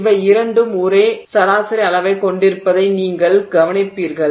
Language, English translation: Tamil, You will notice that both of these have the same average size